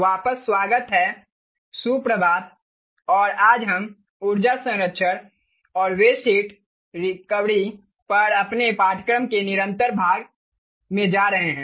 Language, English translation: Hindi, good morning and ah, today we are going to continuous part of our course on energy conservation and waste heat recovery